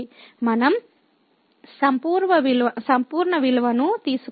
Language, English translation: Telugu, We can take the absolute value